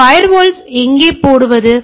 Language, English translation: Tamil, So, where do I put the firewall